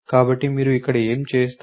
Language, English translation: Telugu, So, what would you do here